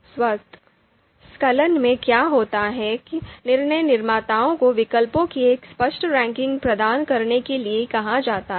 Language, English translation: Hindi, So what happens in automatic elicitation is that decision makers are asked to provide a clear ranking of alternatives